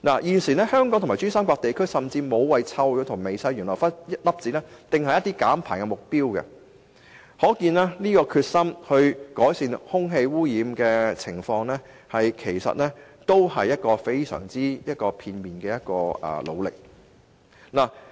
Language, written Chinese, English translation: Cantonese, 現時，香港和珠三角地區均沒有就臭氧和微細懸浮粒子訂下減排目標，可見他們改善空氣污染的決心其實是非常片面的。, At present Hong Kong and the PRD Region have not laid down any target on reducing ozone and fine suspended particulates . This shows that their determination to alleviate air pollution is actually haphazard